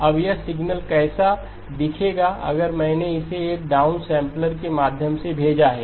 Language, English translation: Hindi, Now what would this signal look like if I sent it through a down sampler